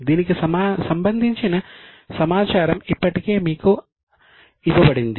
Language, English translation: Telugu, The data is already given to you